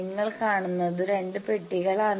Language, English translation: Malayalam, So, there are two boxes you are seeing